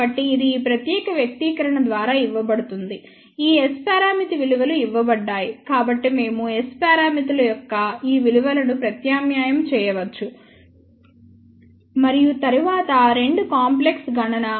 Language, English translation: Telugu, So, delta is given by this particular expression all these S parameter values are given so, we can substitute these values of S parameters and then two complex calculation